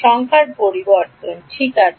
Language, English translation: Bengali, Numbering changes ok